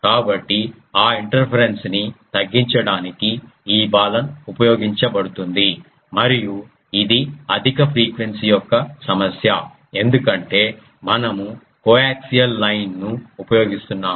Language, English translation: Telugu, So, to reduce that interference this Balun is used and it is ah problem of high frequency because we are using coaxial line